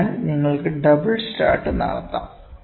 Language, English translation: Malayalam, So, you can also have double start